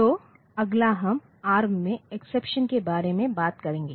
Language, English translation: Hindi, So, next, we will be talking about exceptions in ARM